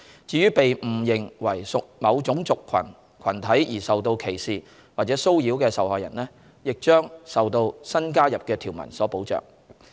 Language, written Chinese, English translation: Cantonese, 至於被誤認為屬某種族群體而受到歧視或者騷擾的受害人，亦將受到新加入的條文所保障。, Besides a person who is discriminated against or harassed due to a mistaken perception of hisher race will also be protected under the newly added provisions